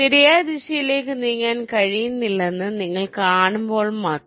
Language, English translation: Malayalam, only when you see that you cannot move in the right direction, then only you move away